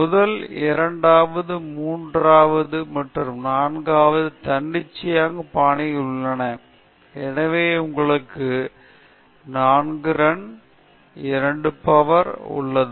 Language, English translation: Tamil, The first second third and fourth are given arbitrary fashion, so you have 4 runs, 2 power 2